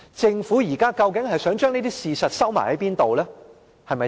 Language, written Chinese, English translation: Cantonese, 政府現在究竟想將這些事實藏到哪裏？, Where does the Government wish to hide these facts? . Under the carpet?